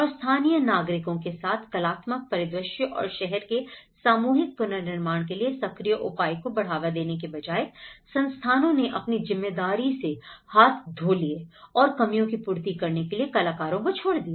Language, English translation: Hindi, And with the local citizens and in fact, rather than fostering active engagement for co creation of the artistic landscape and the city, the institutions washed their hands on their responsibilities leaving the artists to fill the gap